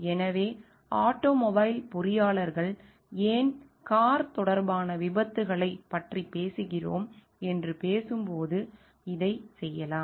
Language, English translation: Tamil, So, this could be done when we talking why automobile engineers means we are talking of car related accidents